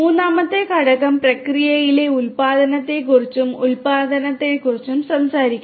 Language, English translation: Malayalam, And the third component talks about innovation in the process and the production